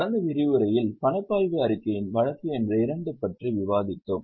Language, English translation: Tamil, In the last session, in the last session we were discussing case number 2 of cash flow statement